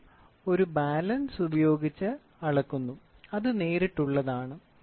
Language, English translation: Malayalam, Weight is measured by a balance and it is direct